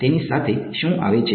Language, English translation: Gujarati, What comes with it